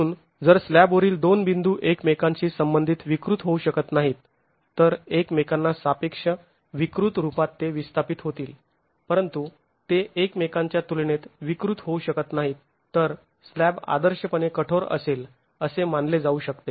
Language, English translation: Marathi, Therefore if two points on the slab cannot deform relative to each other deform relative to each other, they will displace but they cannot deform relative to each other, then the slab can be assumed to be ideally rigid and you have diaphragm action